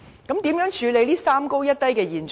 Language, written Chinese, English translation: Cantonese, 如何處理這"三高一低"的現象？, How can we deal with this three Highs one Low phenomenon?